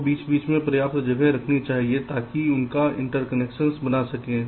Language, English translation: Hindi, you should keep sufficient space in between so that you will interconnections can be made